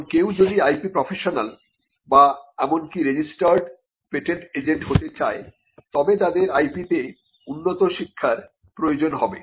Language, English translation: Bengali, Now, if somebody wants to become an IP professional or even become a registered patent agent they would require advanced education in IP